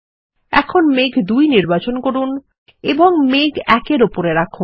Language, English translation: Bengali, Now, select cloud 2 and place it on cloud 1